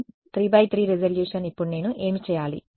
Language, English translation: Telugu, Higher resolution 3 cross 3 resolution now what do I do